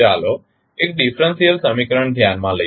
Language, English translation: Gujarati, Let us consider one differential equation